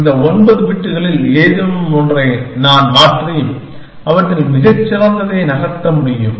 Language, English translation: Tamil, I can change any one of those 9 bits and move to the best amongst them